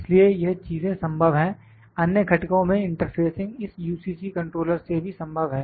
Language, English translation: Hindi, So, these things are possible, interfacing to the other components is also possible through this UCC controller